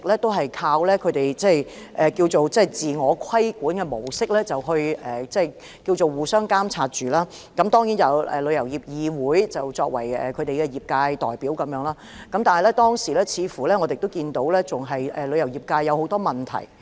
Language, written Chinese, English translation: Cantonese, 業界一直靠自我規管模式來互相監察，並由香港旅遊業議會作為業界代表，但是，我們看到當時旅遊業界仍有很多問題。, Members of the travel industry had all along adopted a self - regulatory model to monitor one another with the Travel Industry Council of Hong Kong TIC acting as their representative . But as we noticed many problems existed in the travel industry back then